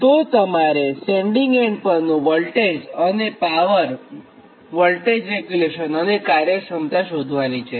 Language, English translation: Gujarati, so you have to find out basically that sending end power voltage and power at the sending end and voltage regulation and efficiency